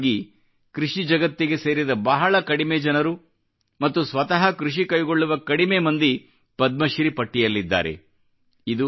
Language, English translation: Kannada, Generally, very few people associated with the agricultural world or those very few who can be labeled as real farmers have ever found their name in the list of Padmashree awards